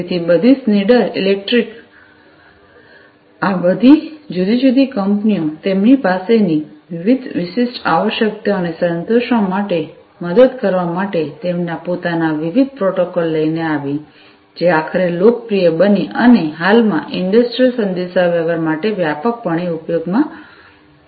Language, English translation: Gujarati, So, all Schneider electric all of these different companies came up with their own different protocols to you know help with satisfying the different specific requirements that they had, which you know eventually became popular got standardized and being widely used for industrial communication at present